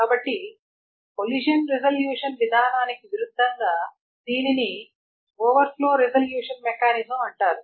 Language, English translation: Telugu, So as opposed to a collision resolution mechanism, this is called an overflow resolution mechanism